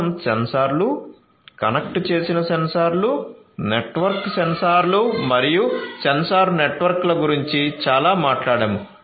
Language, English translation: Telugu, We have talked about a lot about sensors, connected sensors, networked sensors, sensor networks